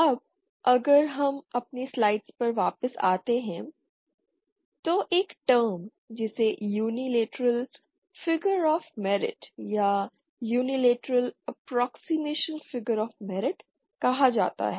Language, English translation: Hindi, Now if we come back to our slides on the there is a certain term called Unilateral Figure of Merit or Unilateral Approximation Figure of merit